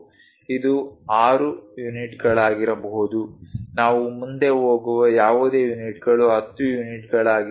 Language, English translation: Kannada, It can be 6 units, it can be 10 units whatever the units we go ahead